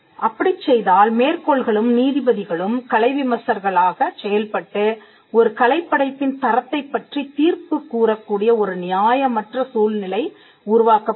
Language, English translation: Tamil, Then we would create an unfair situation where quotes and judges will now act as art critics in the sense that they would now be given the right to judge the merit of an artistic work